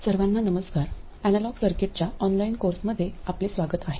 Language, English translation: Marathi, Hello everyone, welcome to the online course Analog Circuits